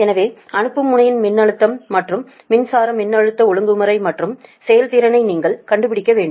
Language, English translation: Tamil, so you have to find out basically that sending end power voltage and power at the sending end and voltage regulation and efficiency